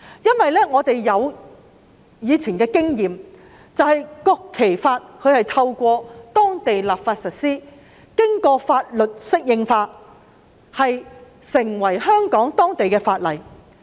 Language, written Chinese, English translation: Cantonese, 根據以往的經驗，《中華人民共和國國旗法》正是透過當地立法實施，並經法律適應化而成為香港法例。, Based on past experience the Law of the Peoples Republic of China on the National Flag was enacted by way of local legislation and became the law of Hong Kong after adaptation